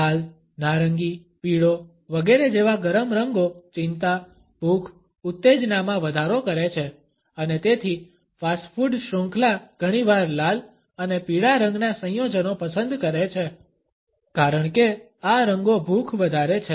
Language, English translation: Gujarati, Warm colors such as red, orange, yellow etcetera increase anxiety, appetite, arousal and therefore, fast food chains often choose color combinations of red and yellow because these colors increase appetite